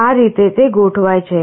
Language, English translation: Gujarati, This is how it is arranged